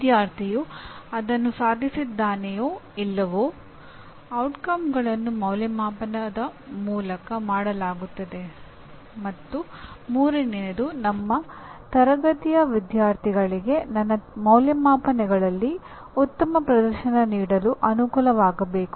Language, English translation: Kannada, Whether student has attained that or not outcomes is done through assessment and the third one is I must facilitate the students in my class to be able to perform well in my assessments